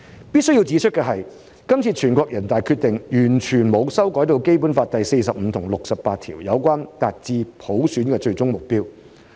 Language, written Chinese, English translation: Cantonese, 必須指出的是，這次全國人大的《決定》完全沒有修改《基本法》第四十五條及第六十八條有關達致普選的最終目標。, I must point out that the NPC Decision this time around has not changed the ultimate goal of achieving universal suffrage stipulated in Articles 45 and 68 of the Basic Law